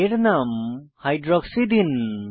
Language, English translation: Bengali, Name it as Hydroxy